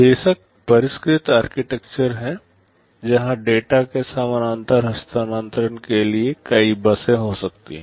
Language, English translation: Hindi, Of course, there are sophisticated architectures where there can be multiple buses for parallel transfer of data and so on